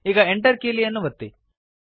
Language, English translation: Kannada, Now press the Enter key